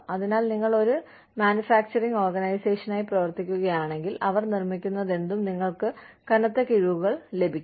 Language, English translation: Malayalam, So, if you are working for a manufacturing organization, they could give you heavy discounts on, whatever they are making